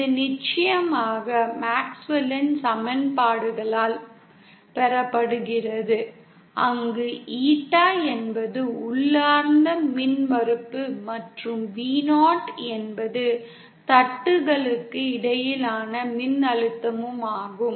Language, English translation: Tamil, This is of course obtained by MaxwellÕs equations where Eeta is the intrinsic impedance and Vo is the voltage between the plates